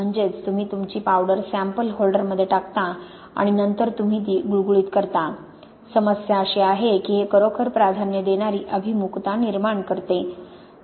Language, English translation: Marathi, That is to say you put your powder into the sample holder and then you smooth it off, the problem is that this really tends to produce preferential orientation